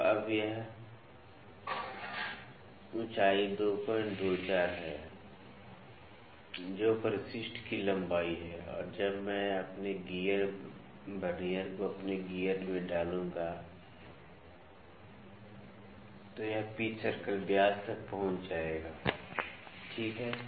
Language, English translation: Hindi, 24, which is the length of addendum and when now when I insert my gear Vernier to my gear, it will reach the pitch circle diameter, ok